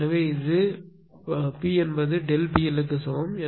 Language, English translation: Tamil, So, p is equal to actually delta P L right